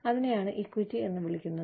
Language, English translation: Malayalam, And, that is called, equity